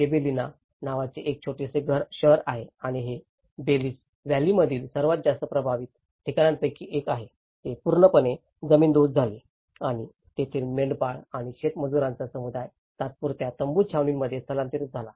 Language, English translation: Marathi, There is a small city called Gibellina and this is one of the most affected places in the Belice Valley, which was completely razed to the ground and its community of shepherds and farm labourers relocated to the temporary tent camps